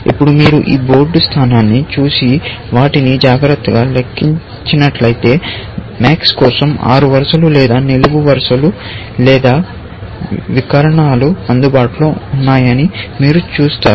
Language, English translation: Telugu, Now, if you look at this board position and count them carefully, you will see that there are six rows or columns or diagonals available for max